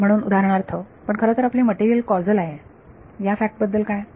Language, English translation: Marathi, So, for example, what about the fact that our material is causal